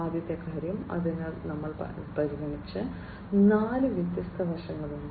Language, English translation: Malayalam, The first thing, so there are four different facets that we have considered